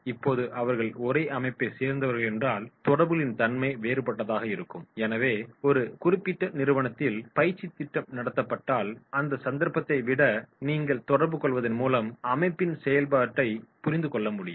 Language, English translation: Tamil, Now if they are from the same organisation then the nature of interaction will be different, so if the training program is conducted in a particular organisation so than in that case you will find that is the nature of interaction is the understanding the function of the organisation